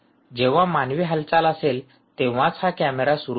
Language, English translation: Marathi, you want to start this camera only when there is a human movement across it